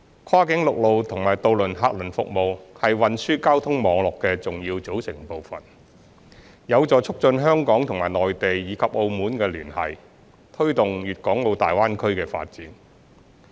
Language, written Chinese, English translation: Cantonese, 跨境陸路和渡輪客運服務是運輸交通網絡的重要組成部分，有助促進香港與內地及澳門的聯繫，推動粵港澳大灣區的發展。, Cross - boundary land - based and ferry passenger services being key components of the transport and traffic network are conducive to promoting the connectivity between Hong Kong and the Mainland and Macao as well as facilitating the development of the Guangdong - Hong Kong - Macao Greater Bay Area